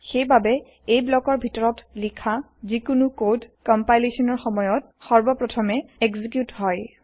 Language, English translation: Assamese, So, any code written inside this block gets executed first during compilation